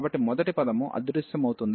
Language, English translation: Telugu, So, first term will vanish